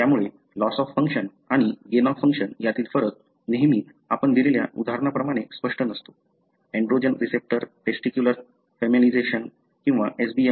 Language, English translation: Marathi, So, the distinction between loss of function and gain of function is not always as clear as example that we have given; androgen receptor, testicular feminisation or SBMA